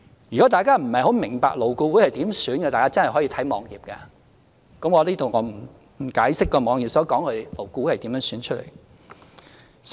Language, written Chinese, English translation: Cantonese, 如果大家不太明白勞顧會委員如何選出，可以瀏覽有關網頁，我在此不解釋該網頁所述勞顧會委員是如何選出的。, Members who do not quite understand how LAB members are elected may browse the relevant web page . I am not going to explain here how LAB members are elected as stated on that web page